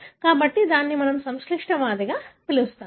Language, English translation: Telugu, So, that is what we call as a complex disease